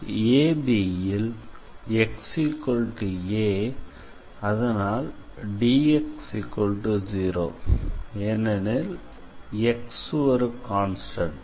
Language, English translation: Tamil, Now on AB our x is a and therefore, dx is 0 because x is constant